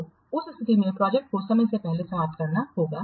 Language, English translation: Hindi, So in that case, the project has to be prematurely terminated